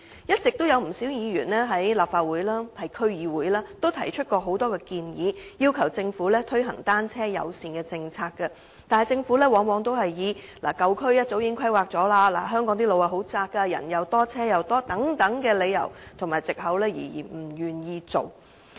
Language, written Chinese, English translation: Cantonese, 不少議員一直在立法會和區議會提出很多建議，要求政府推行單車友善政策，但政府往往以舊區早已進行規劃、香港路段狹窄、人多車多等理由和藉口而不願意推行。, All along many Members have made various proposals at meetings of the Legislative Council and District Councils and requested the Government to implement a bicycle - friendly policy . But the Government often refuses to implement such a policy by citing the reasons or pretexts that old districts have already undergone development planning roads are narrow in Hong Kong and streets are crowded with people and vehicles